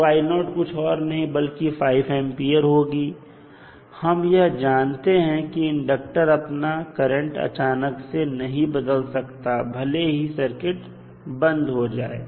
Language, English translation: Hindi, So, I naught is nothing but 5 ampere and now we know that the inductor current cannot change instantaneously so even after switching off the circuit